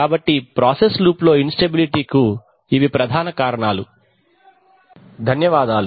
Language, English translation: Telugu, So these are the major causes of instability in a process loop